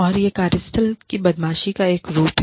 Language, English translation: Hindi, And, that is a form of workplace bullying